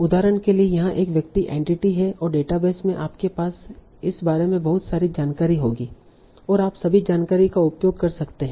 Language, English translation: Hindi, For example this entity is a person and there in the database you will have a lot of information about this and you can make use of all this information